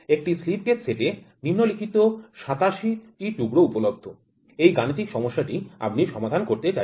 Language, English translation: Bengali, A slip gauge set with 87 has under this available numerical problem, which you wanted to solve